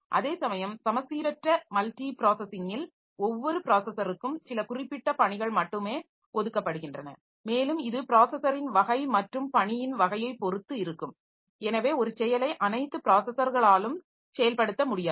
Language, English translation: Tamil, Whereas for asymmetric multiprocessing, so each processor is assigned some specific task only and depending on the type of the processor and the type of the task, so one task may not be able to be carried out by all the processors, only may be a subset of processors can do this